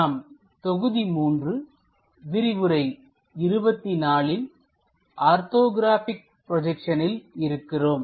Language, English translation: Tamil, We are in module number 3, lecture number 24 on Orthographic Projections